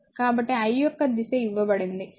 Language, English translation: Telugu, So, direction of I is given